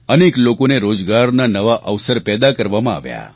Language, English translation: Gujarati, New employment opportunities were created for a number of people